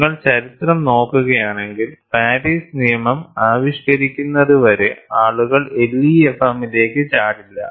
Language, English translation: Malayalam, And if you really look at the history, people did not jump on to LEFM until Paris law was invented